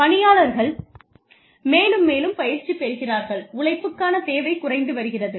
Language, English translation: Tamil, People are getting, more and more training, and the demand for labor, is going down